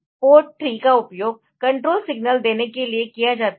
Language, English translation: Hindi, Port 3 is used for giving the control signals